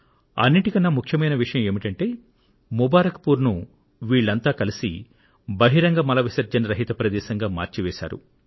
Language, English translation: Telugu, And the most important of it all is that they have freed Mubarakpur of the scourge of open defecation